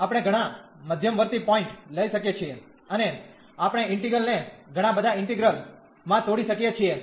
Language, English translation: Gujarati, We can take many intermediate points and we can break the integral into several integrals